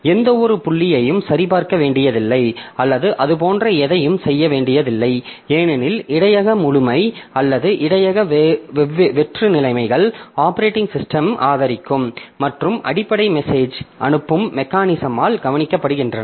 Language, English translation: Tamil, So we don't have to do anything, any pointer check or anything like that because the buffer full or buffer empty conditions are taken care of by the underlying message passing mechanism that the operating system supports